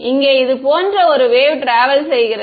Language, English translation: Tamil, Here is a wave traveling like this